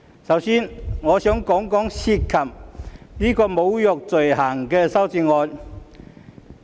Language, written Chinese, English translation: Cantonese, 首先，我想談談涉及侮辱罪行的修正案。, First of all I want to talk about the amendments relating to the offence of insulting behaviour